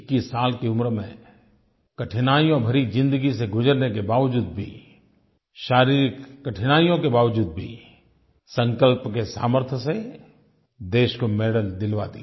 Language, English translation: Hindi, Yet despite facing all sorts of difficulties and physical challenges, at the age of 21, through his unwavering determination he won the medal for the country